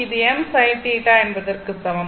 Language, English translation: Tamil, And A B is equal to I m sin theta, right